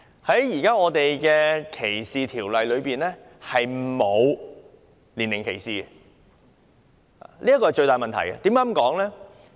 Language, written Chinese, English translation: Cantonese, 香港現時禁止歧視的條例中並不涵蓋年齡歧視，這是最大的問題。, The existing ordinances against discrimination do not cover age discrimination and this is the biggest problem